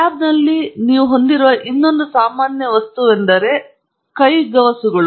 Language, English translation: Kannada, The other most common thing that you should have in a lab is, you know, a set of gloves